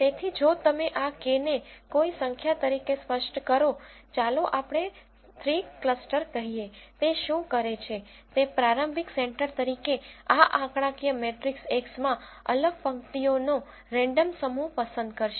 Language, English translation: Gujarati, So, if you specify this K as a number, let's say three clusters, what it does is it will choose a random set of distinct rows in this numeric matrix X as the initial centers